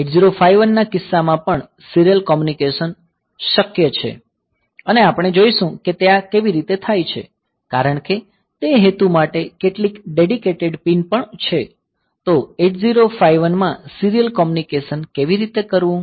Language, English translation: Gujarati, So, in case of 8051 also serial communication is possible and we will see that how this is done like there is a there are some dedicated pins for that purpose as well; so, how to do the serial communication in 8051